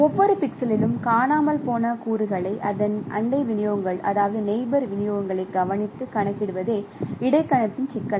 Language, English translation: Tamil, So, the problem of interpolation is to compute the missing components at every pixel by by taking care of its neighboring distributions